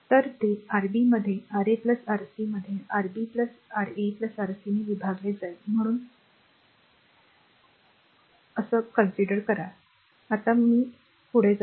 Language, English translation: Marathi, So, it will be Rb into Ra plus Rc divided by Rb plus Ra plus Rc; so, cleaning it and going to that right